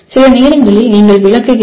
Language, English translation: Tamil, And sometimes you just explain